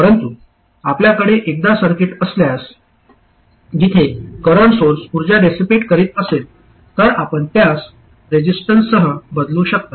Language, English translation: Marathi, But if you have a circuit where a current source is dissipating power, you could replace it with a resistor